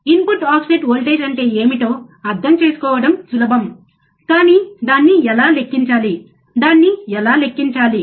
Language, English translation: Telugu, Easy easy to understand what is the input offset voltage, but how to calculate it, right how to calculate it